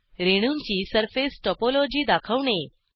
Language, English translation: Marathi, Display different surfaces of molecules